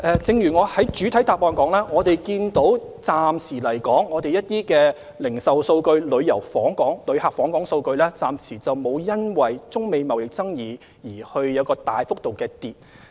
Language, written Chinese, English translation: Cantonese, 正如我在主體答覆中指出，我們看過一些零售數據及旅客訪港數據，暫時沒有因為中美貿易爭議而有大幅度下降。, As I said in the main reply we have looked at retail figures and visitor arrivals and for the time being no significant drops have been noted as a result of the China - US trade conflict